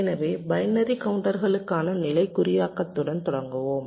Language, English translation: Tamil, so let us start with state encoding for binary counters